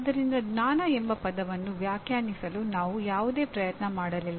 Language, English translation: Kannada, So we did not make any attempt at all to try to define the word knowledge